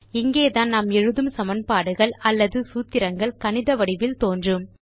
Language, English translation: Tamil, This is where the equations or the formulae we write will appear in the mathematical form